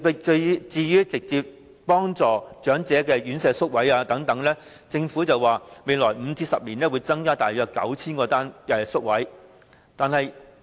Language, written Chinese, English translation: Cantonese, 至於直接惠及長者的院舍宿位，政府說會在未來5年至10年增加大約 9,000 個宿位。, Concerning the provision of elderly residential care places which can directly benefit old people the Government says that an additional 9 000 places will be provided in the next 5 to 10 years